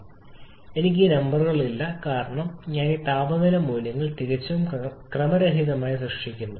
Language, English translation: Malayalam, And of course, I do not have the number you can because I am generating this temperature value is quietly